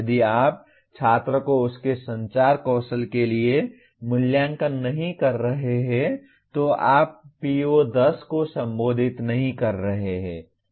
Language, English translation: Hindi, If you are not evaluating the student for his communication skills then you are not addressing PO10 at all